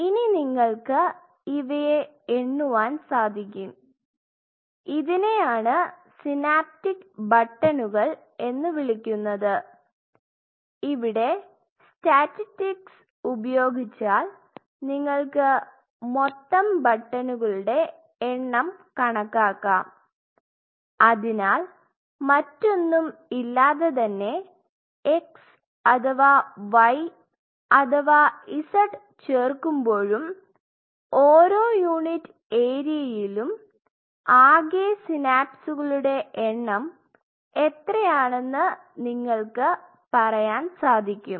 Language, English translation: Malayalam, So, what you can do essentially you can count these are called synaptic buttons, you can count the total number of buttons you have to do a bit of a statistics here you can count the total number of buttons and you can say without anything if we add this x or y or z what is the total number of synapses, in per unit area and whatever ok